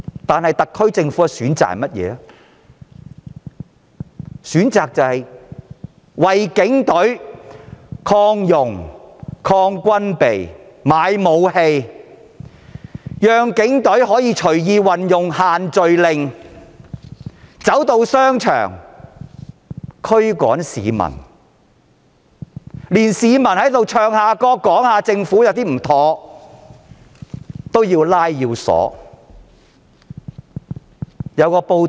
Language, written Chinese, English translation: Cantonese, 但是，特區政府卻選擇擴充警隊、軍備，任由警隊運用"限聚令"進入商場驅趕市民，連唱歌批評政府也要拘捕。, However the SAR Government has instead chosen to expand the Police Force and police equipment and empower police officers to under the group gathering restrictions enter shopping malls to disperse people and even arrest those who sing songs to criticize the Government